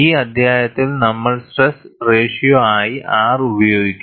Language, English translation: Malayalam, In this chapter, we would use R as stress ratio